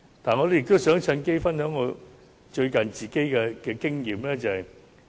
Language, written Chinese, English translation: Cantonese, 我想藉此機會分享我最近的個人經驗。, I wish to take this opportunity to share my recent personal experience